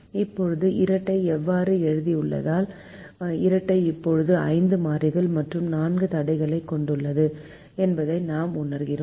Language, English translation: Tamil, now, having written the dual this way, we realize that the dual now has five variables and four constraints